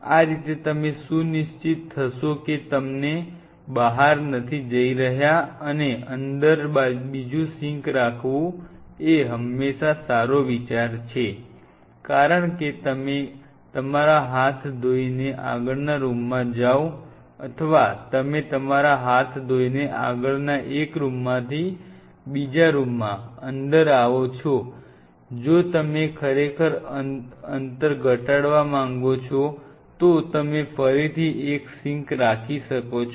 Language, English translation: Gujarati, That way you will be ensuring that you know you are not spelling out things and it is always a good idea to have another sink inside may not be a bad idea because you are working on a wash your hands and you know go to the next room, or you are coming from the next one two inside wash your hands or if you want to really minimize you can have one sink the again